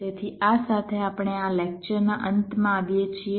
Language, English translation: Gujarati, so with this ah, we come to the end of this lecture